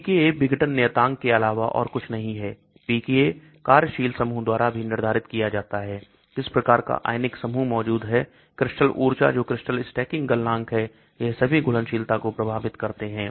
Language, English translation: Hindi, pKa, pKa is nothing but dissociation constant, pKa is also determined by the functional group, what type of ionizable group present, crystal energy that is crystal stacking, melting point, all these also affect the solubility